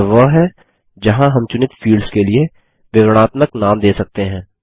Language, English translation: Hindi, This is where we can enter descriptive names for the selected fields